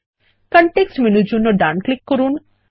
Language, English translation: Bengali, Right click for the context menu and click Area